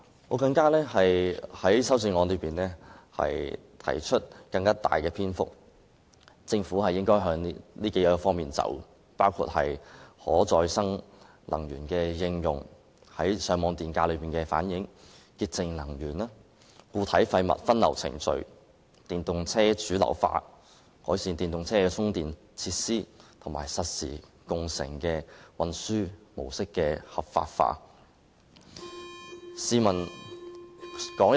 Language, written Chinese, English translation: Cantonese, 我的修正案花了更長篇幅建議政府朝着以下數方面發展，包括應用可再生能源、反映上網電價、潔淨能源、固體廢物分流程序、電動車主流化、改善電動車充電設施，以及將實時共乘的運輸模式合法化。, My amendment has devoted even greater lengths to advising the Government to pursue development in the following directions including using renewable energy reflecting feed - in tariff promoting clean energy establishing a diversion process for solid wastes promoting the mainstreaming of electric vehicles improving charging facilities for electric vehicles and promoting the transport mode of real - time car - sharing and effecting its legalization